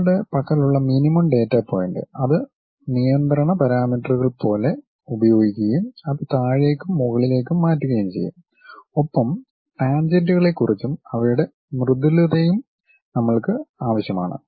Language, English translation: Malayalam, The minimum data points what we have those we will use it like control parameters to make it up and down kind of things and we require something about tangents, their smoothness also